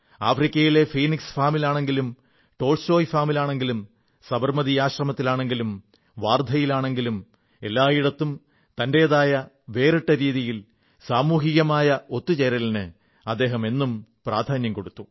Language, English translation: Malayalam, Whether it was the Phoenix Farm or the Tolstoy Farm in Africa, the Sabarmati Ashram or Wardha, he laid special emphasis on community mobilization in his own distinct way